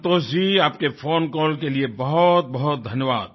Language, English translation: Hindi, Santoshji, many many thanks for your phone call